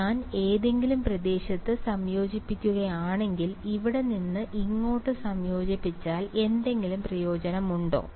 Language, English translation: Malayalam, So, if I integrate at any region let us say if I integrate from here to here is there any use